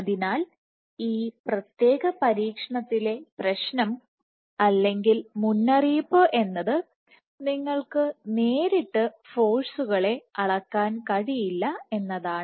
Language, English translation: Malayalam, So, the problem with this particular experiment, not the problem the caveat is that you cannot measure the forces directly